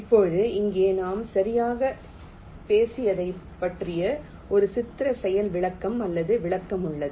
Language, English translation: Tamil, here there is a pictorial demonstration or illustration of what exactly we have talked about